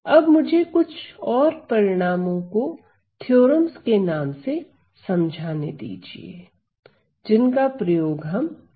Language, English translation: Hindi, Now let me just highlight few results in the name of theorems which we will be using